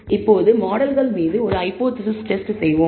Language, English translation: Tamil, Now, let us do a hypothesis test on the models